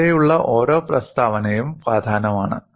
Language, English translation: Malayalam, Every statement here is important